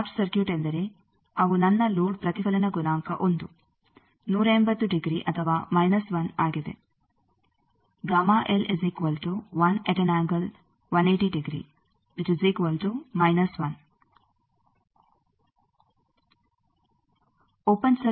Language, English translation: Kannada, What is the short circuit short circuit means, they are my load reflection coefficient is 1, 180 degree or minus 1